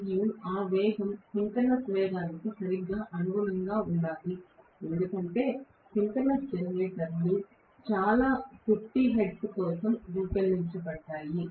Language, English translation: Telugu, And that speed should be exactly corresponding to synchronous speed because most of the synchronous generators are designed for 50 hertz